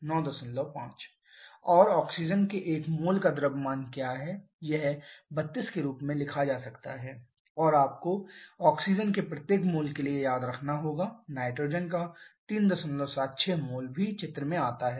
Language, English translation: Hindi, And what is the mass of 1 mole of oxygen it can be written as 32 and you have to remember for every mole of oxygen 3